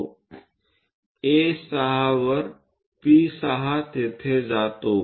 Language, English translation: Marathi, P6 on A6 goes there